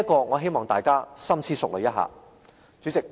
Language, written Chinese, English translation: Cantonese, 我希望大家深思熟慮一下。, I call on Members to think over this carefully